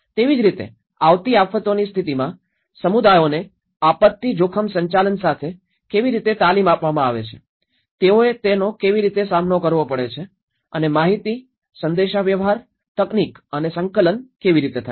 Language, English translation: Gujarati, Similarly, how the communities are trained with the disaster risk management in the event of the upcoming disasters, how they have to face and the information, communication technology and coordination